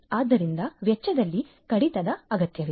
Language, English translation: Kannada, So, reduction in the expenditure is required